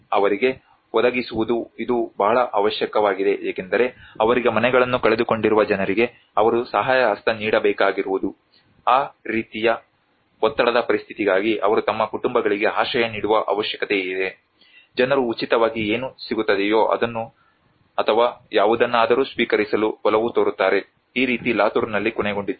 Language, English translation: Kannada, The providers for them it is a great need because they have to give a helping hand for the people who lost their houses for them there is an immediate requirement that they need to shelter their families for that kind of pressurized situation, people tend to accept whatever they get for free or whatever they get that is how it ended in Latur